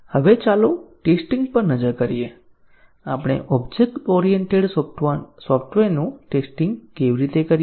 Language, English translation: Gujarati, Now, let us look at testing, how do we go about testing object oriented software